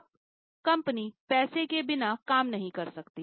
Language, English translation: Hindi, Now, company cannot operate without money